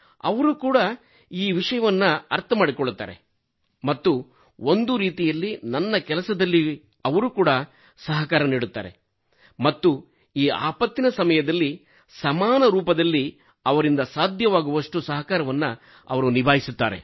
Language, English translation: Kannada, So they too understand this thing and in a way they also cooperate with me and they also contribute in whatever kind of cooperation there is during the time of this calamity